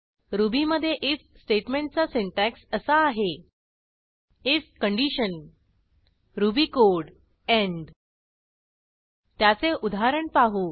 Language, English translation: Marathi, The syntax of the if statement in Ruby is as follows: if condition ruby code end Let us look at an example